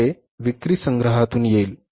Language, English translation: Marathi, That will come from the sales collections